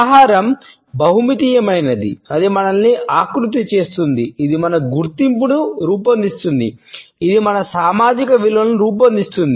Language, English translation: Telugu, Food is multidimensional, it shapes us, it shapes our identity, it shapes our social values